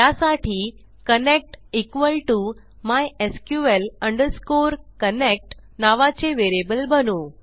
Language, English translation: Marathi, To do this we create a variable called connect equal to mysql connect